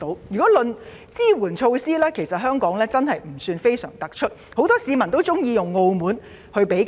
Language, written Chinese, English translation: Cantonese, 就抗疫措施來說，香港的確不算非常突出。很多市民喜歡拿香港與澳門比較。, In respect of anti - epidemic measures Hong Kongs performance is not that impressive and many people like to compare Hong Kong with Macao which has done considerably well in epidemic control